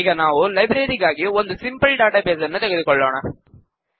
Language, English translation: Kannada, Let us consider a simple database for a Library